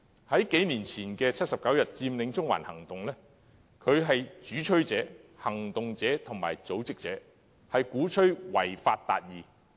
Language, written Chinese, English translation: Cantonese, 在數年前的79天佔領中環行動中，他不單是主催者，也是行動者和組織者，鼓吹違法達義。, During the 79 - day Occupy Central movement that occurred a couple of years ago he was not only a proponent but also a campaigner and organizer advocating achieving justice by violating the law